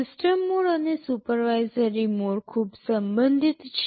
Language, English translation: Gujarati, The system mode and supervisory mode are very much related